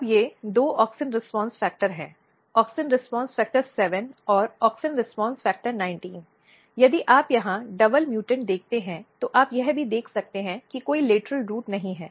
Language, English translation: Hindi, Now these are two auxin response factor, auxin response factor 7 and auxin response factor 19, if you look double mutant here you can also see that there is no lateral root formation